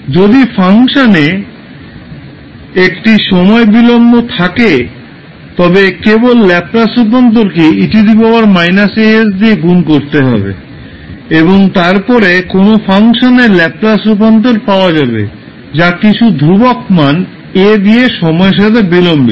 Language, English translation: Bengali, So in this if you have a time delay in function, you will simply multiply the Laplace transform by e to the power minus a s and then you will get the Laplace transform of a function which is delayed by delayed in time by some constant value a